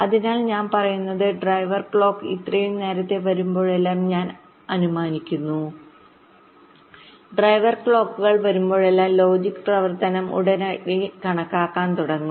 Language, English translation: Malayalam, so what i am saying is that whenever the driver clock comes so earlier we have assumed that whenever the driver clocks come, the logic operation start calculating immediately